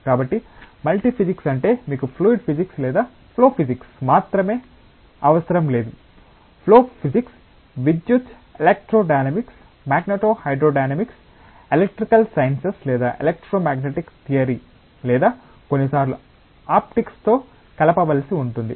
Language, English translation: Telugu, So, multi physics means that you just do not require only fluid physics or only flow physics, the flow physics may be may need to be combined with electricity, electro hydrodynamics, magneto hydrodynamics that is electrical sciences or electromagnetic theory or sometimes optics